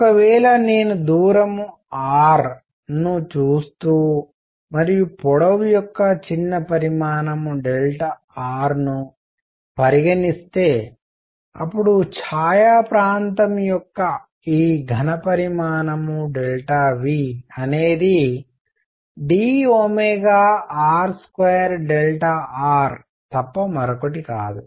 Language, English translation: Telugu, If I look at a distance r and consider a small volume of length delta r then this volume of the shaded region delta V is nothing but d omega r square delta r